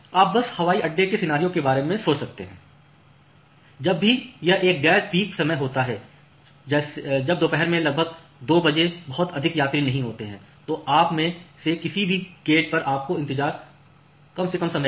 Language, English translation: Hindi, So, you can just think of the airport scenario whenever it is a non peak time say at at a around 2 PM in the noon when there are not much passenger, so you in you go to the any of the gates you will need to wait for a minimal amount of time